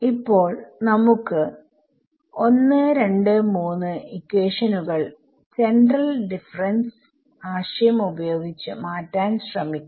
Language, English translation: Malayalam, So now, that we have done this let us try to convert equations 1 2 3 using our central difference idea